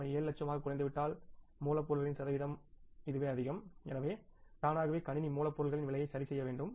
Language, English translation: Tamil, If they come down to 7 lakhs then the percentage of the raw material is this much so automatically the system should adjust the cost of raw material